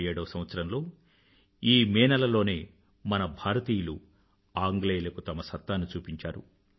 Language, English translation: Telugu, This was the very month, the month of May 1857, when Indians had displayed their strength against the British